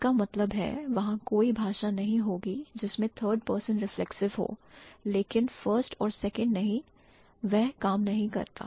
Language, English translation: Hindi, That means there would not be any language which has third person reflexive but not first and second that doesn't work